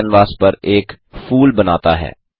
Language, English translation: Hindi, Turtle draws a flower on the canvas